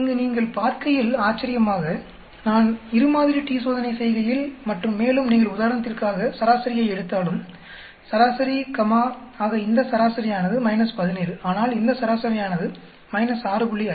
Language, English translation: Tamil, Here you saw that interestingly, when I do a two sample t Test and even if you take the average for example, a v e r a g e comma, so this average is minus 17 whereas, this average is minus 6